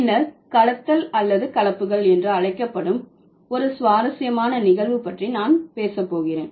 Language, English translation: Tamil, Then I am going to talk about a very interesting phenomenon called blending or blends